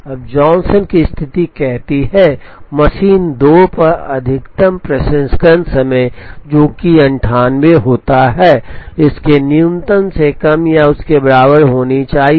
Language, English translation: Hindi, Now, the Johnson condition says, maximum processing time on machine 2, which happens to be 98, should be less than or equal to the minimum of this